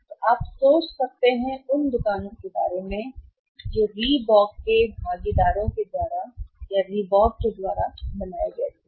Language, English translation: Hindi, you can think about those stores which were created by Reebok of the partners of the Reebok